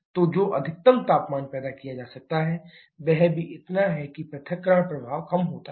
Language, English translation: Hindi, So, the maximum temperature that can be produced that is also there so disassociation effect is lesser